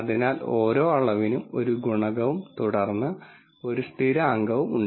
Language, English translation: Malayalam, So, 1 coefficient for each dimension and then 1 constant